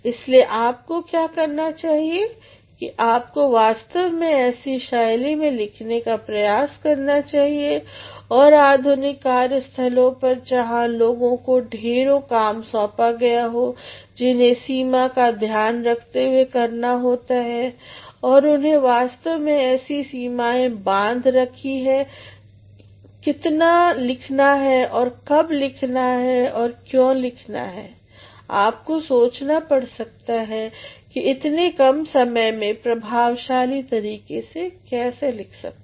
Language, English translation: Hindi, So, what you should do is you should actually try to write in a manner, and modern day workplaces where people have got lots of assignments and deadlines in mind and they have actually created certain limits as to how much to be written when to be written and why to be written you actually have to think off, how can we write efficiently in lesser amount of time